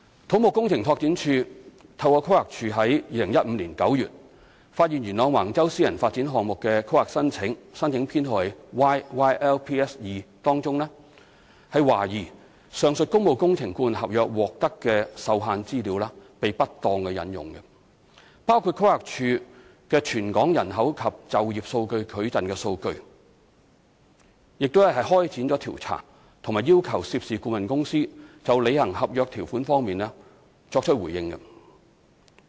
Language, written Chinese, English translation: Cantonese, 土木工程拓展署透過規劃署於2015年9月發現元朗橫洲私人發展項目的規劃申請中，懷疑上述工務工程顧問合約獲得的受限資料被不當引用，包括規劃署的《全港人口及就業數據矩陣》數據，並開展調查及要求涉事顧問公司就履行合約條款方面作出回應。, In September 2015 CEDD discovered through the Planning Department PlanD that the planning application for a private property development at Wang Chau Yuen Long was suspected of improperly using restricted data including the Territorial Population and Employment Data Matrix of PlanD from the aforementioned public works consultancy agreement . CEDD launched an investigation and requested the consultant involved to respond in connection with its fulfilment of contract provisions